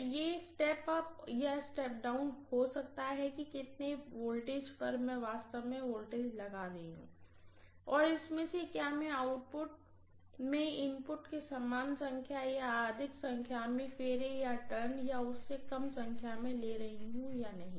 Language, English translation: Hindi, So it can be step up or step down depending upon to how many turns I am actually applying the voltage and out of this whether I am taking the same number of turns as the input at the output or more number of turns or less number of turns